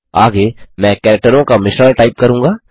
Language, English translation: Hindi, The next one I will just type a mix of characters